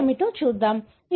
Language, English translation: Telugu, Let’s see what it is